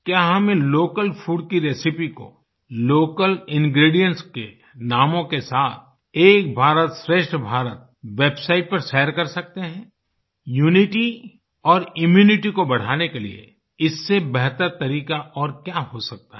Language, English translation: Hindi, Can we share the recipe of these local foods along with the names of the local ingredients, on the 'Ek Bharat Shrestha Bharat' website